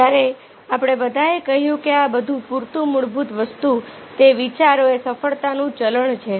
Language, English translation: Gujarati, when we have all told all these where the basic thing: if that idea are the currency to success